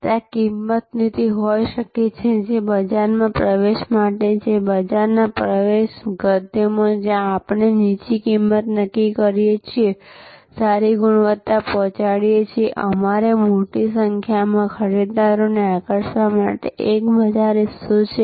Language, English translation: Gujarati, There can be price policy, which is for market penetration, in market penetration prose where we sort of set a low price, deliver good quality; we have to one to attract a large number of buyers, a large market share